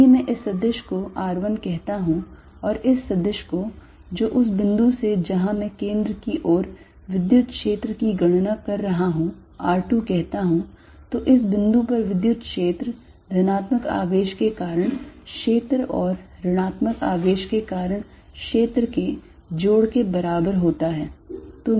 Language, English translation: Hindi, If I call this vector r1 and call this vector from the point where I am calculating the electric field towards the centre r2, then the electric field at this point is equal to some due to the field due to the positive charge plus that due to the negative charge